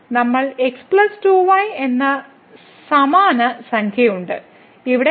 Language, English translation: Malayalam, So, we have the same number plus 2 and here also 3 times plus 2